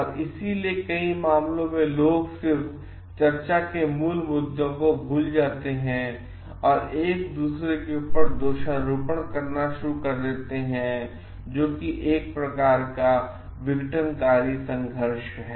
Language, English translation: Hindi, And that is why what happens in many cases people just forget the original issue of discussion and go on blaming each other which is a kind of disfunctional conflict